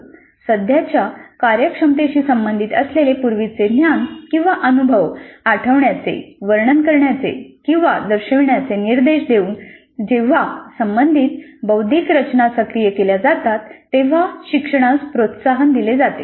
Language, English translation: Marathi, Learning is promoted when learners activate a relevant cognitive structures by being directed to recall, describe or demonstrate the prior knowledge or experience that is relevant to the current competency